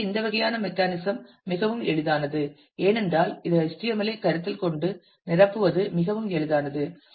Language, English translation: Tamil, So, this kind of a mechanism is makes it very easy because a it is quite easy to conceive of the HTML and fill in